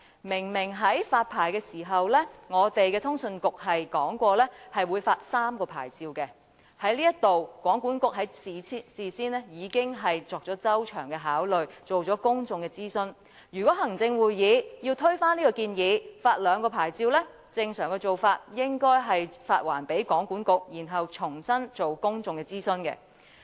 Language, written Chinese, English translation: Cantonese, 明明在發牌時，通訊事務管理局表示會發出3個牌照，通訊局事先已作出周詳的考慮，進行了公眾諮詢，如果行會要推翻這項建議，想改為發出兩個牌照，正常做法應該是將建議發還予通訊局，然後重新進行公眾諮詢。, The Office of the Communications Authority OFCA indicated clearly at the time when licences were issued that three licences would be granted . OFCA made thorough consideration beforehand and conducted public consultation . If the Executive Council is to overthrow this proposal and amend it to issuing two licences the normal way is to refer the proposal back to OFCA and carry out public consultation again